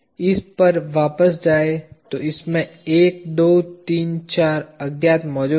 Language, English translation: Hindi, Going back to this there are 1, 2, 3, 4 unknowns present in this